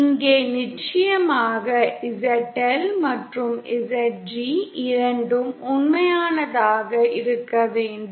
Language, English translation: Tamil, Here of course both ZL and ZG have to be real